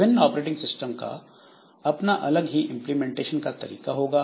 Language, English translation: Hindi, So, different operating systems they will have their own implementation